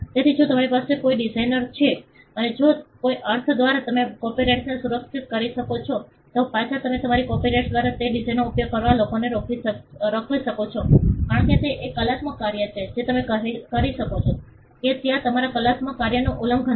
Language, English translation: Gujarati, So, if you have a design and if by some means you can protected by a copyright, then you can stop people from using that design through your copyright, because it is an artistic work you can say that there is infringement of your artistic work